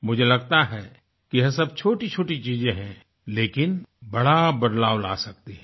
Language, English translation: Hindi, I feel there are many little things that can usher in a big change